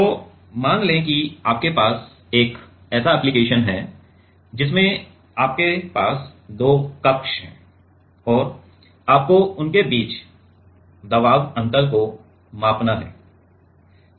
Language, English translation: Hindi, So, let us say you have an application such that that you have two chamber and you have to measure the pressure difference between them